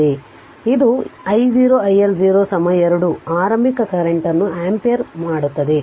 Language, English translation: Kannada, So, it is your i 0 your i L 0 is equal to 2 ampere the initial current